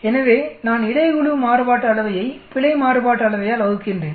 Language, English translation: Tamil, So I am dividing the between the group variance divided by error variance